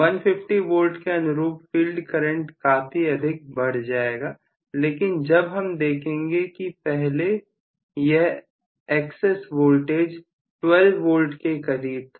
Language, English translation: Hindi, Now corresponding to this value of 150 V the field current has increased quite a bit but look at this previously I have an excess voltage of 12 Volts or something